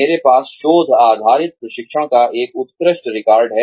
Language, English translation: Hindi, I have an excellent record of research based training